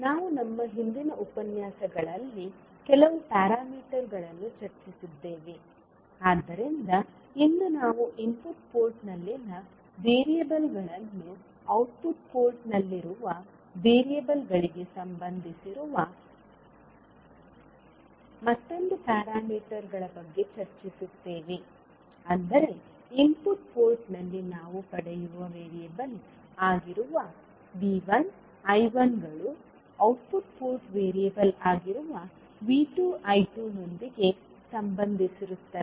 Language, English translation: Kannada, So we discussed few of the parameters in our previous lectures, so today we will discuss about another set of parameters which relates variables at the input port to those at the output port that means the V 1 I 1 that is the variable we get at the input port will be related with the output port variable that is V 2 and I 2